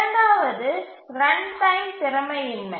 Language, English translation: Tamil, The second is runtime inefficiency